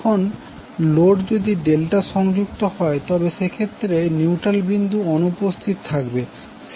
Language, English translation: Bengali, Now if the load is Delta connected, in that case the neutral point will be absent